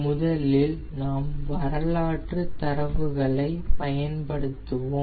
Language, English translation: Tamil, so first we will use the historical data